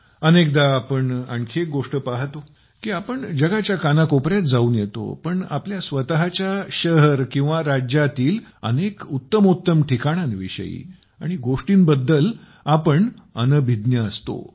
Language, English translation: Marathi, Often we also see one more thing…despite having searched every corner of the world, we are unaware of many best places and things in our own city or state